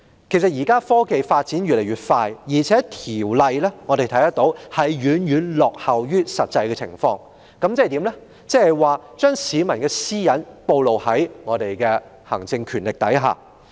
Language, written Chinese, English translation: Cantonese, 現時科技發展越來越快，我們看到相關條例已遠遠落後於實際情況，變相令市民的私隱暴露於行政權力之下。, With the increasingly rapid technological advancements nowadays we see that the relevant Ordinance lags far behind the actual situation thus causing the peoples privacy to be exposed under the power of the Administration